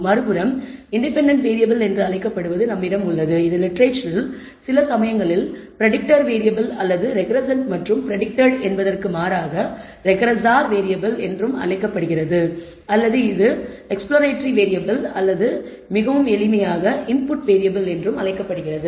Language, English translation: Tamil, On the other hand we have what is called the independent variable, this is also known in the literature sometimes as the predictor variable or the regressor variable as opposed to predicted and regressand or it is also known as the exploratory variable or very simply as the input variable